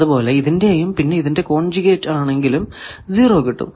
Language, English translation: Malayalam, Similarly, this and conjugate of this that will be 0